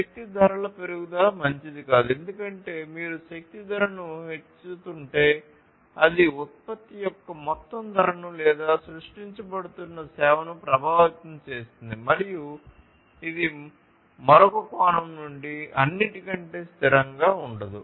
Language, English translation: Telugu, So, increasing the price of energy is not good because if you are increasing the price of energy then that will affect the overall price of the product or the service that is being created and that is not going to be sustainable over all from another perspective